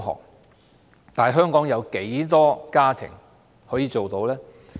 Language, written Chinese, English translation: Cantonese, 然而，香港有多少家庭可以做到？, However how many families in Hong Kong can afford that?